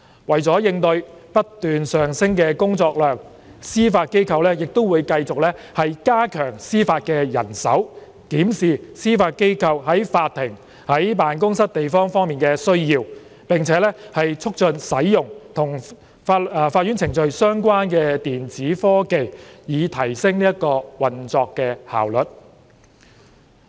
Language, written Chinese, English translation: Cantonese, 為了應對不斷上升的工作量，司法機構會繼續加強司法人手，檢視司法機構在法庭及辦公室地方方面的需要，並促進使用與法院程序相關的電子科技，以提升運作效率。, To cope with the increasing workload the Judiciary will continue to strengthen the judicial manpower review the accommodation needs of the Judiciary and promote the use of electronic technology in relation to court proceedings to maximize operational efficiency